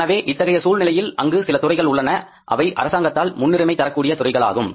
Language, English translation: Tamil, So, in that case there are some sectors which are the priority sectors for the government, government is going to support